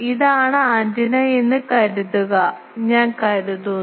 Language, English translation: Malayalam, Suppose this is the antennas, I think